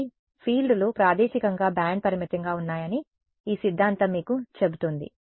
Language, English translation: Telugu, So, this theorem is telling you that the fields are spatially band limited